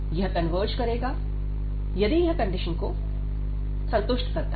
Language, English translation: Hindi, And it will converge, if these conditions are satisfied